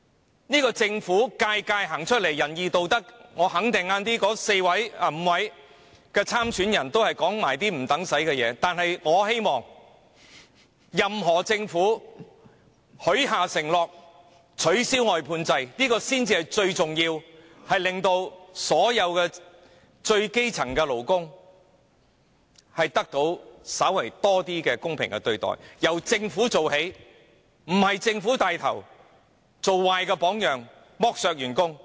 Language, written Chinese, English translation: Cantonese, 每一屆政府都滿口仁義道德，我肯定稍後5位特首參選人也只會說一些無關痛癢的話，但我希望下屆政府，不論由誰領導，最重要是取消外判制度，讓所有基層勞工得到稍為公平的對待，這目標應由政府做起，政府不應帶頭做壞榜樣，剝削員工。, The Government of each and every term has boasted about kindness and righteousness and I am sure the five aspirants in the Chief Executive election will only give some irrelevant talks later . Yet I hope the next Government no matter who will be the head will abolish the outsourcing system which I consider the most import task so that all grass - roots workers will receive slightly fairer treatment . The Government should take the lead to achieve this target rather than setting a bad example of exploiting workers